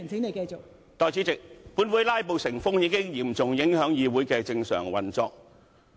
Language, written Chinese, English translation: Cantonese, 代理主席，本會"拉布"成風，已嚴重影響議會的正常運作。, Deputy President the rampant filibustering in this Council has seriously hindered the normal operation of this Council